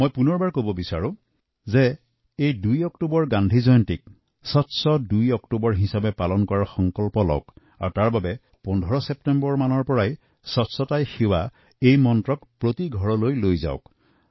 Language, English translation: Assamese, I would like to reiterate, let's resolve to celebrate, 2nd October Gandhi Jayanti this year as Swachch Do Aktoobar, Clean 2nd October